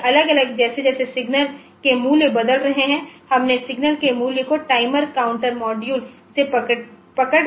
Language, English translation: Hindi, So, at different, as the values of the signals are changing, we captured the values of the signal and from the timer counter module